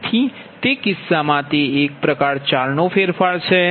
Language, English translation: Gujarati, so in that case it is a type four modification